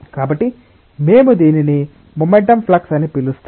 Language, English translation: Telugu, So, we call it as a momentum flux